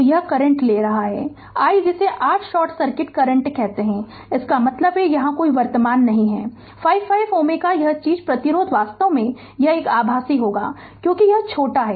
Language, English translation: Hindi, So, this current we are taking i what you call that your short circuit current; that means, here no current here 5 5 ohm this thing resistance actually it will ineffective the because this is shorted